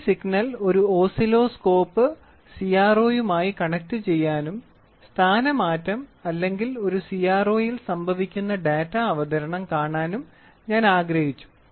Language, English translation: Malayalam, So, then this signal I wanted to connect it one Oscilloscope CRO and see the displacement to see that the data presentation which is happening in a CRO